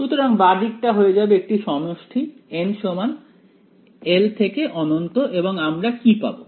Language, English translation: Bengali, So, the left hand side will become summation will remain n is equal to 1 to infinity and what should I get